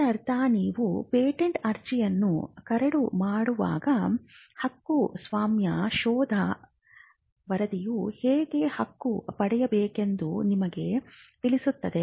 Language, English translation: Kannada, Which means as you draft the patent application, the patentability search report will inform you how to claim